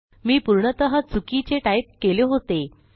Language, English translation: Marathi, Sorry I have typed this completely wrong